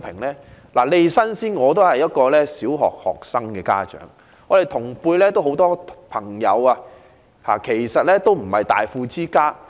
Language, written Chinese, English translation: Cantonese, 我先申報利益，我也是一名小學生的家長，同輩很多朋友亦非大富之家。, I would like to first declare my interest I am a parent of a primary student and many of my friends in my generation are not rich